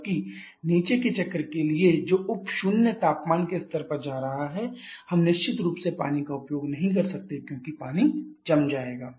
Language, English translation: Hindi, Whereas for the bottoming cycle which is going to Sub Zero temperature levels we definitely cannot use water because the water will become solidified